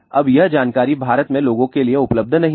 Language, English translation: Hindi, Now, this information is not at all available to people in India in fact